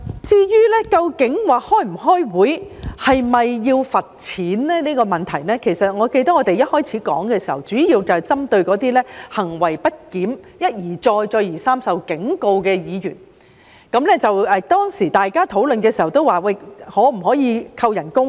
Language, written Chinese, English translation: Cantonese, 至於不出席會議是否需要罰款的問題，我記得我們一開始討論的時候，主要是針對那些行為不檢、一而再再而三受警告的議員，大家討論的時候也提出，可否扣減其工資呢？, As for the need to impose a fine for absence from the meeting I remember that when we first discussed the issue we mainly targeted those Members who had been warned repeatedly for misconduct . During our discussion we also explored the feasibility of deducting their remuneration